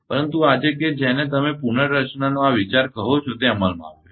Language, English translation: Gujarati, But today that that your what you call this concept of restructure has come to in effect